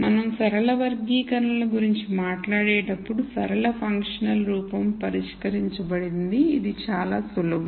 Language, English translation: Telugu, When we talk about linear classifiers the linear functional form is fixed it is very simple